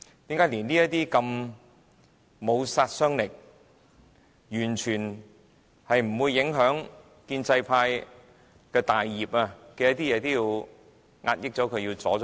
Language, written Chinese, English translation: Cantonese, 為何連如此不具殺傷力、完全不會影響建制派大業的"察悉議案"也要遏抑和阻撓？, Why do pro - establishment Members stop and impede such a harmless take - note motion which will not in any way affect the great plan of the pro - establishment camp?